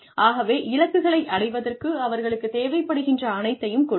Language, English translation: Tamil, So, give them everything they need, in order to achieve the goals